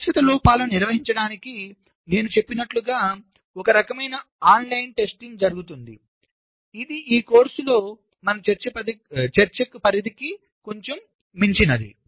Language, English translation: Telugu, for handling the non permanent faults, as i said, some kind of online fault testing is done, which is a little beyond the scope of our discussion in this course